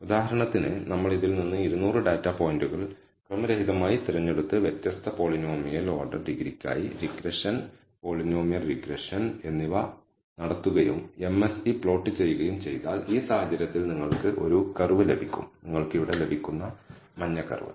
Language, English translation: Malayalam, For example, if you choose 200 data points out of this randomly and perform regression, polynomial regression, for different polynomial order degree and plot the MSE, you will get let us say one curve in this case let us say the yellow curve you get here